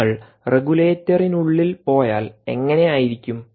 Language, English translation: Malayalam, if you go inside of the regulator, how does it look